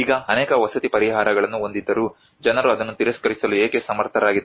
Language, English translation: Kannada, Now despite of having so many housing solutions but why people are able to reject it